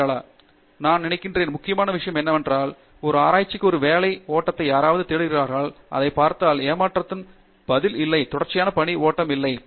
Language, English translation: Tamil, I think, what is important is this, if you look at if someone is looking for a work flow for a research, the disappointing answer is there is no sequential work flow